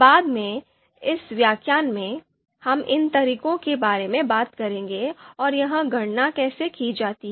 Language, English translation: Hindi, So later on in this lecture, we will talk about what these methods are and how this how the how this calculation is done